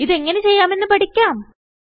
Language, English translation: Malayalam, Let us now learn how to do this